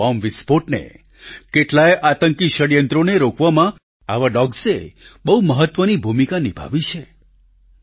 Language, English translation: Gujarati, Such canines have played a very important role in thwarting numerous bomb blasts and terrorist conspiracies